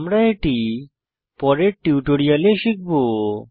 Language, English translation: Bengali, We learnt some of them in earlier tutorials